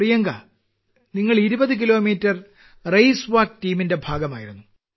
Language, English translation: Malayalam, Priyanka, you were part of the 20 kilometer Race Walk Team